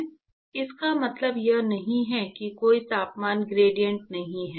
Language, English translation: Hindi, It does not mean that there is no temperature gradient